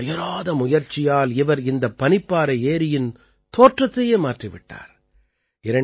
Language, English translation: Tamil, With his untiring efforts, he has changed the look and feel of this glacier lake